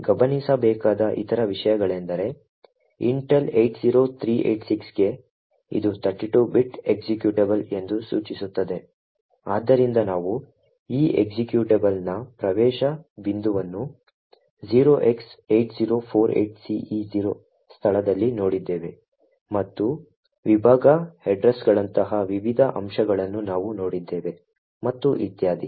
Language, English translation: Kannada, Other things to actually note is that for the Intel 80386 which indicates that it is a 32 bit executable, so as we have seen the entry point for this executable is at the location 0x8048ce0 and we have also seen the various other aspects such as the section headers and so on